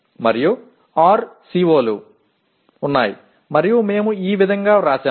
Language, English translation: Telugu, And there are 6 COs and this is how we have written